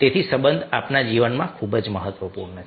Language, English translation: Gujarati, so relationship is very, very important in our life